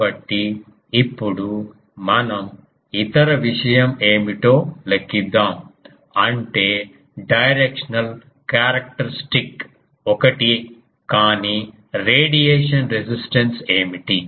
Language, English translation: Telugu, So, now let us calculate what is the other thing; that means, directional characteristic is same but what is the radiation resistance